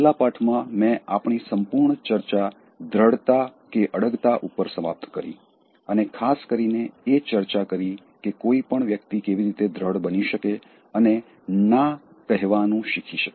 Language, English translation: Gujarati, In the last lesson, I concluded our entire discussion on assertiveness and particularly, I discussed the ways in which one can become assertive and learn to say no